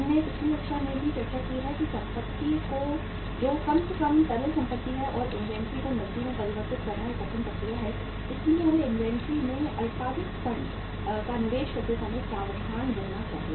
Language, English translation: Hindi, We have discussed in the previous class also that uh the asset which is the least liquid asset and converting inventory into cash is a difficult process so we should be careful while making investment of short term funds in the inventory